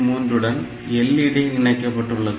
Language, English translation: Tamil, 3 line, we have got the LED